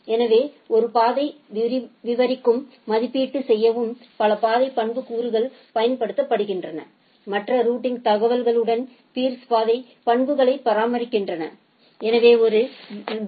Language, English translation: Tamil, So, there are several path attributes are used to describe and evaluate a path, peers exchange path attributes along with other routing informations So, when a BGP router advise a route, it can add or modify the path attributes before advertising the route to a peer